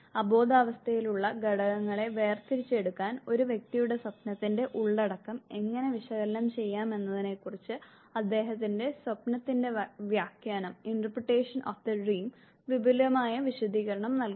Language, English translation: Malayalam, Where in do his interpretation of the dream gives elaborate explanation has to how the content of the dream of an individual can be analyzed to extract the unconscious elements